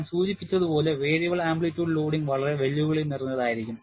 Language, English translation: Malayalam, As I mentioned, variable amplitude loading is going to be very very challenging